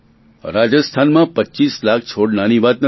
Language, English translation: Gujarati, To plant 25 lakhs of sapling in Rajasthan is not a small matter